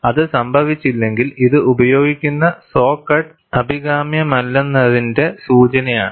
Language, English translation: Malayalam, If it does not happen, it is an indication that the saw cut which is used is not desirable